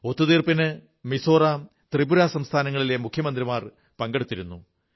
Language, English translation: Malayalam, The Chief Ministers of both Mizoram and Tripura were present during the signing of the agreement